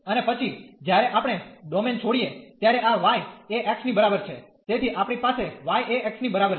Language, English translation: Gujarati, And then when we leave the domain, this is y is equal to x, so we have y is equal to x